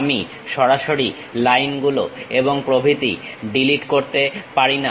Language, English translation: Bengali, I cannot straight away delete the lines and so on